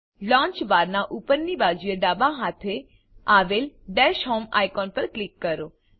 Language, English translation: Gujarati, Click on the Dash Home icon, at the top left hand side of the launcher bar